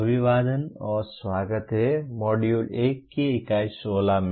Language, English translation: Hindi, Greetings and welcome to Unit 16 of the Module 1